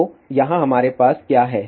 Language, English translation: Hindi, So, what we have